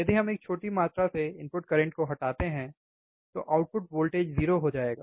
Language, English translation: Hindi, If we dieffer the input current by small amount, the output voltage will become 0